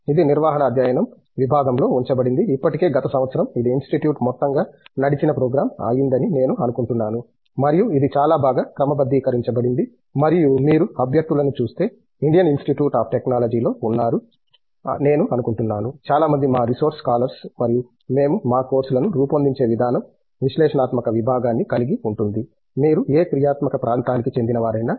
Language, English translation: Telugu, It was housed in the department of management studies, still I think last year it became an institute wide program and this was very well sort after and if you look at the candidates because we are housed in an Indian Institute of Technology, I think most of our resource scholars and the way we structure our courses itself has an analytical component, no matter which functional area you belong to